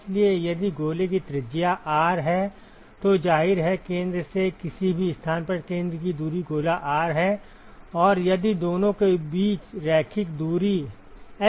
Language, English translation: Hindi, So, if the sphere is the radius of the sphere is R, then obviously, the center distance from the center to any location the sphere is R; and if the linear distance between the two is S